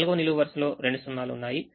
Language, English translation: Telugu, third column has two zeros